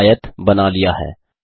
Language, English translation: Hindi, You have drawn a rectangle